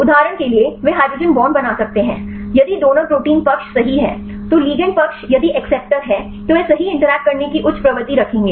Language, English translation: Hindi, For example they can make the hydrogen bonds, if the donor is the protein side right then ligand side if have acceptor then they will high tendency to interact right